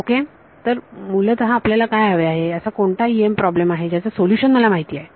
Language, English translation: Marathi, So, basically we want up what we what is EM problem whose solution I know